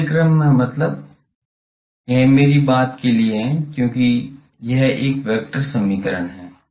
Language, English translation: Hindi, Reverse means; that is for my thing, because this is a vector equation